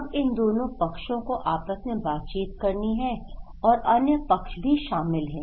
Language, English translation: Hindi, Now, these two parties has to interact and there are other parties are also involved